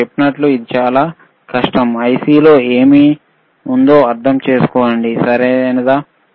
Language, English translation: Telugu, Llike I said, it is very difficult to understand what is within the IC, right